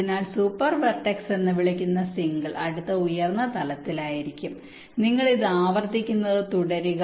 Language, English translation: Malayalam, so the next higher level, that single so called super vertex, will be there, and you go on repeating this